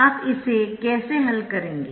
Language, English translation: Hindi, how do find that